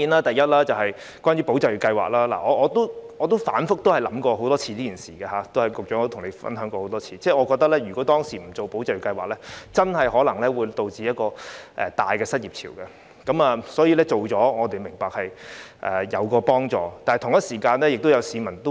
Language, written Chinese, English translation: Cantonese, 第一，對於"保就業"計劃，我自己曾反覆思考，亦曾與局長多次分享，我也認為如果當時沒有推出"保就業"計劃，真的可能出現龐大的失業潮，所以我們明白推行計劃是有幫助的。, First regarding the Employment Support Scheme I have repeatedly thought about it and shared my views with the Secretary many times . I also think that if the Employment Support Scheme was not implemented back then probably an enormous tide of unemployment could have been resulted and therefore we understand that the Scheme is helpful